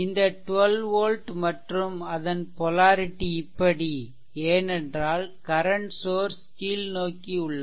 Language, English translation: Tamil, This is 12 volt and I told you the polarity also because current source that is your it is downwards right